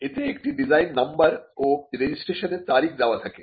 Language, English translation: Bengali, It bears a design number, the date of registration of that design is given